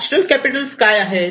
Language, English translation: Marathi, What are the natural capitals